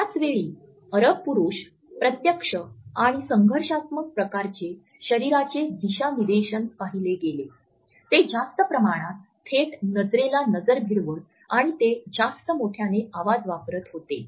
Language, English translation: Marathi, At the same time Arab males were seen with the direct and confrontational types of body orientation, they also had a greater eye contact and were using louder voice